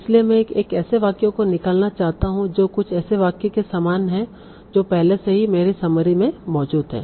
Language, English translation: Hindi, So I want to give some less weight to a sentence if it is similar to some already existing sentence in the summary